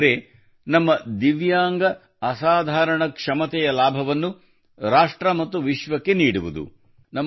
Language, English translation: Kannada, It has served to bring the benefit of the extraordinary abilities of the Divyang friends to the country and the world